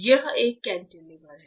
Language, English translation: Hindi, This is a cantilever